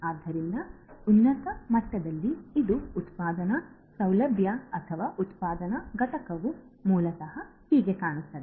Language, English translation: Kannada, So, this is at a very high level how a manufacturing facility or a manufacturing plant basically is going to look like